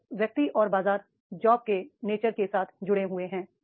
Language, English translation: Hindi, So the person and the market with the nature of the job